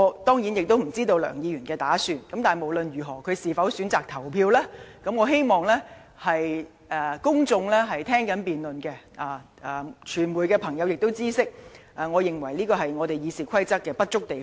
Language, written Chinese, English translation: Cantonese, 當然，我也不知道梁議員將有何打算及是否選擇投票，但我希望正在收看這次辯論的公眾人士及傳媒朋友知悉，這是《議事規則》的不足之處。, Of course I have no idea of what Mr LEUNG is thinking or whether he is going to vote but I do hope that members of the public or the media watching this debate would realize that this is a shortcoming of RoP